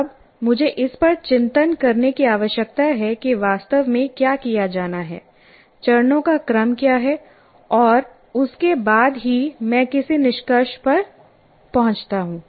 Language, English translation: Hindi, Now, I have to reflect what exactly is to be done, what are the sequence of steps, and then only come to conclusion